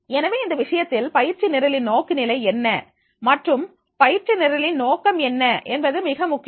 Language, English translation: Tamil, So, therefore, in that case, it is very important that is what is the orientation of the training program, purpose of the training program